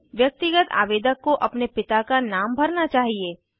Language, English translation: Hindi, Next, Individual applicants should fill in their fathers name